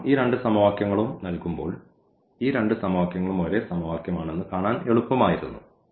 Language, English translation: Malayalam, Because, when these two equations are given it was easy to see that these two equations are the same equation